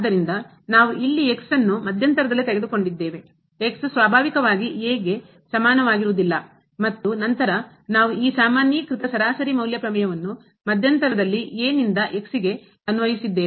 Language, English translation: Kannada, So, we have taken a point here in the interval, is naturally not equal to and then we have applied this generalized mean value theorem in the interval to ok